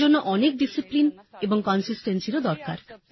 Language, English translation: Bengali, This will require a lot of discipline and consistency